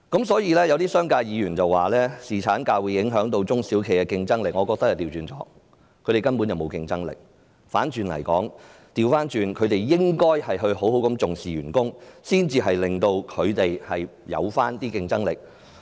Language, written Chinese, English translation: Cantonese, 所以，有些商界議員說侍產假會影響中小企的競爭力，我則認為正好相反，他們根本沒有競爭力，倒過來說，他們應該好好重視員工的福祉，才能令公司增加競爭力。, Therefore regarding the comment of some Members from the business sector that paternity leave will affect the competitiveness of SMEs I think the exact opposite is true . They are not competitive whatsoever . On the contrary they should give high regard to employees well - being in order to increase the companys competitiveness